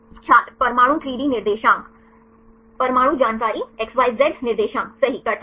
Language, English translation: Hindi, Atomic 3D coordinates Atomic information XYZ coordinates right